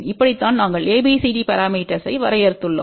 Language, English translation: Tamil, This is how we have define ABCD parameter